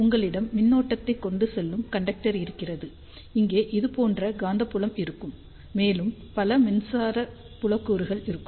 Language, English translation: Tamil, So, let us see if you have a current carrying conductor here, there will be magnetic field like this here, and there will be several electric field components